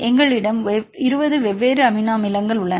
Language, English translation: Tamil, So, how many different amino acid residues